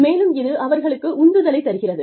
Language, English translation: Tamil, And, it also adds to their motivation